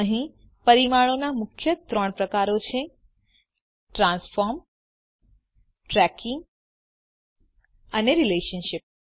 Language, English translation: Gujarati, here are three main types of constraints – Transform, Tracking and Relationship